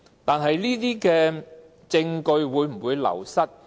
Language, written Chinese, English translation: Cantonese, 但證據會否流失呢？, However will evidence be gone?